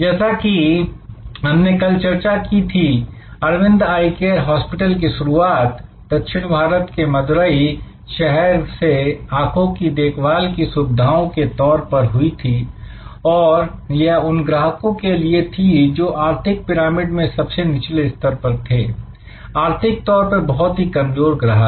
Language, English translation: Hindi, Like we discussed yesterday, Arvind Eye Care Hospital started as an eye care facility in southern India for in Madurai for consumers at the bottom of the economic pyramid, economically deprived consumers